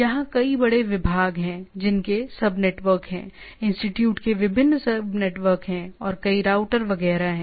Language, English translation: Hindi, There are several departments large department which has sub networks the institute has different sub networks and several routers etcetera